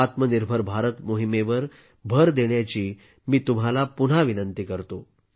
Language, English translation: Marathi, I again urge you to emphasize on Aatma Nirbhar Bharat campaign